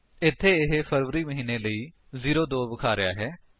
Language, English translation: Punjabi, Here it is showing 02 for the month of February